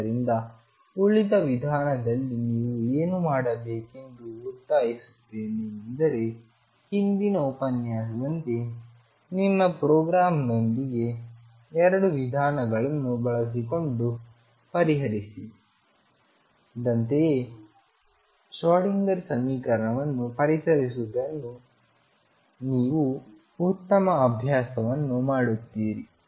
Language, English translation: Kannada, So, what I would urge you to do and the rest of the method is the same as in previous lecture that play with your programme using both method one and method two and see what you get more you practice better programmer better Schrodinger equation solver you would become